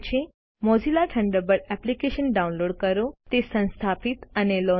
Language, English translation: Gujarati, Download Mozilla Thunderbird application Install and launch it